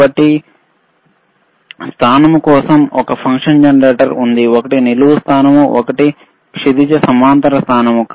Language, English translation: Telugu, So, there is a function for positioning right, one is vertical positioning, one is horizontal positioning